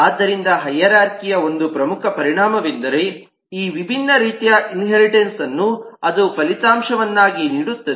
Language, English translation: Kannada, so a major consequence of hierarchy is these different forms of inheritance that it results